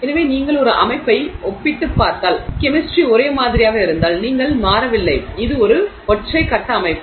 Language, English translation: Tamil, So, if you are comparing a system where let's say the chemistry is the same, you are not changing, let's say it's a single phase system